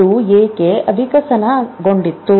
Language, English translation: Kannada, Why did it evolve